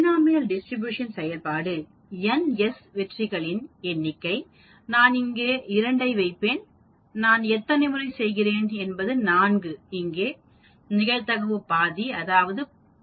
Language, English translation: Tamil, sssss This is the function I said it is called Binom Distribution, Number s is the number successes, I will put 2 here, number of times I do that is 4 here, probability is half that means I put 0